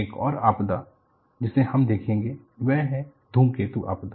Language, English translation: Hindi, The another disaster which we will look at is the comet disaster